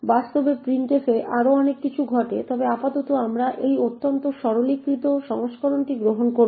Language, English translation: Bengali, In reality a lot more things happen in printf but for now we will just take this highly simplified version